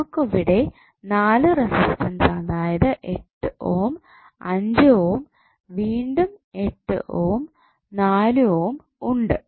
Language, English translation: Malayalam, So, we have four resistances of 8 ohm, 5 ohm again 8 ohm and 4 ohm